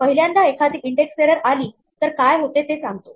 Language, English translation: Marathi, The first one says what happens if an index error occurs